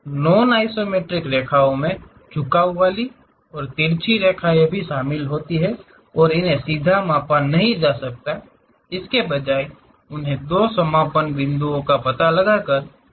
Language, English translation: Hindi, Non isometric lines include inclined and oblique lines and cannot be measured directly; instead they must be created by locating two endpoints